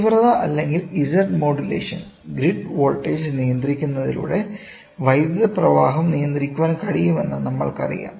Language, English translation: Malayalam, So, intensity or Z modulation; we know that the flow of current can control can be controlled by controlling the grid voltage, ok